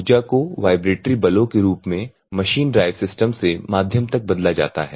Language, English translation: Hindi, Energy in the form of vibratory forces is transformed from machine drive system to the mass media